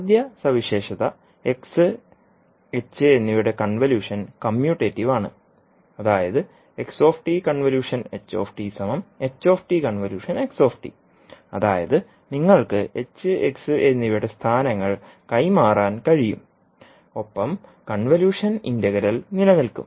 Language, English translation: Malayalam, So first property is convolution of h and x is commutative means you can exchange the locations of h and x and the convolution integral will hold